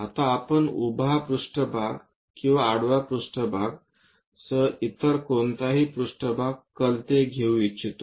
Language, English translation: Marathi, Now, we will like to take any other plane inclined either with vertical plane or horizontal plane